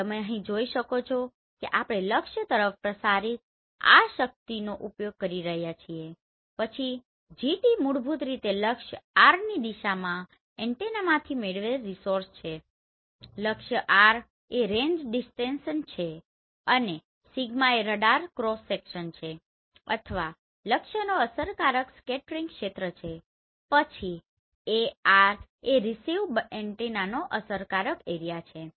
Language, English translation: Gujarati, So you can see here we are using this power transmitted towards the target then Gt is basically gain of the antenna in the direction of the target R is range distance and sigma is radar cross section or effective scattering area of the target then Ar is basically effective area of the receiving antenna